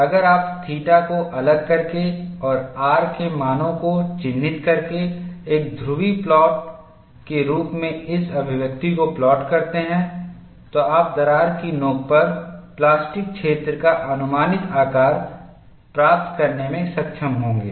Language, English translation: Hindi, If you plot this expression as a polar plot by varying theta and marking the values of r, you would be able to get an approximate shape of plastic zone at the crack tip